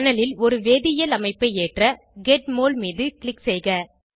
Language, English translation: Tamil, To load a chemical structure on the panel, click on Get Mol